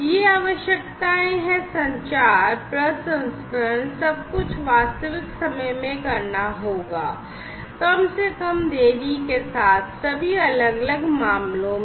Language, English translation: Hindi, So, these requirements are that the communication, the processing, everything will have to be done in real time, with least delay, whatsoever in all the different respects